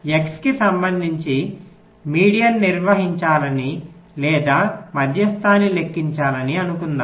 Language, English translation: Telugu, suppose we want to carry out the median or calculate the median with respect to x